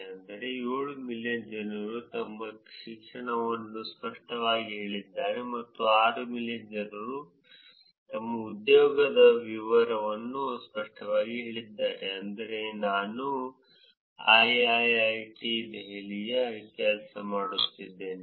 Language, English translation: Kannada, Which is 7 million people have explicitly stated their education and about 6 million people have explicitly stated their employment details which is I work at IIIT Delhi